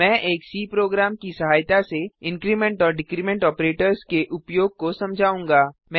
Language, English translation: Hindi, I will now demonstrate the use of increment and decrement operators with the help of a C program